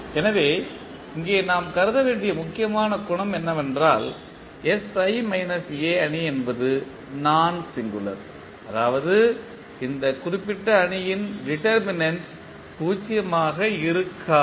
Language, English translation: Tamil, So, the important property which we have to assume here is that the matrix sI minus A is nonsingular means the determent of this particular matrix is not equal to 0